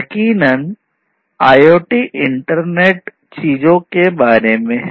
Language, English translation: Hindi, So, very briefly IoT is about internet of things